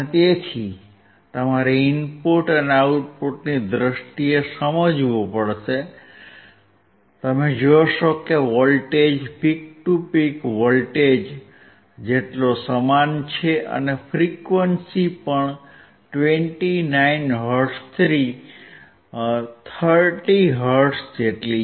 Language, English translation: Gujarati, So, you have to understand in terms of input and output, you see that the voltage is same peak to peak voltage and the frequency is also about 29 hertz to 30 hertz